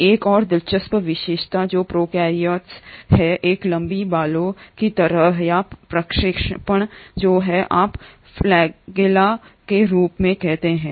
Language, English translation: Hindi, Another interesting feature which the prokaryotes have is a long hair like or projection which is what you call as the flagella